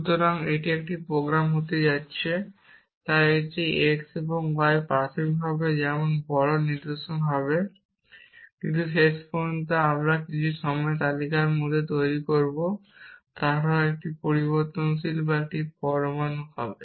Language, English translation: Bengali, So, this going to be a program, so this x and y initially will be such bigger patterns but eventually when we build on into list at some point they will either a variable or an atom